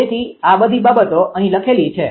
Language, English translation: Gujarati, So, all this things write up is here